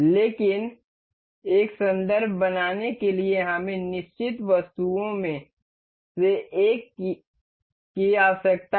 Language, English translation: Hindi, But to make a reference we need one of the items to be fixed